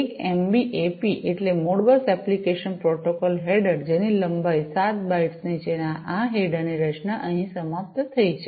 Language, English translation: Gujarati, An MBAP stands for Modbus application protocol header, which is of length 7 bytes and this header structure is over here